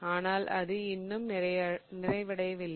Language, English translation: Tamil, But it's not complete yet